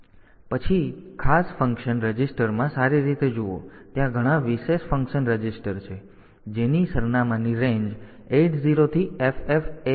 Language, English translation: Gujarati, So, there are many special functions registers ranging whose address is 8 0 to FFh